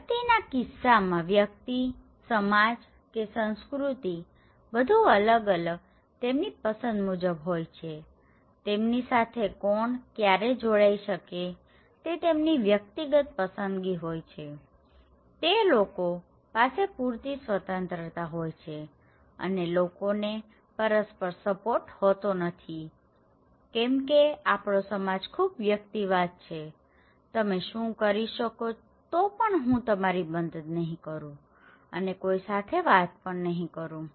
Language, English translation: Gujarati, In case of individualities, individualistic society or culture, it’s very different according to it’s like free whoever can join whatever choice they have, they can pursue whatever like, they have enough freedom and people have no mutual support because it’s very individualistic society, you are what you can do but I am not going to help you anyway and interact with anyone you like, okay